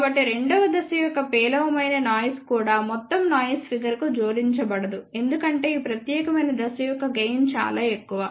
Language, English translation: Telugu, So, even poor noise figure of the second stage will not add to the overall noise figure because the gain of this particular stage is very very high